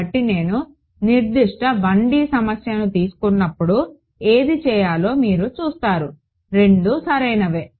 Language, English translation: Telugu, So, I leave it at that when we actually take a concrete 1 D problem you will see which one to do both are correct yes ok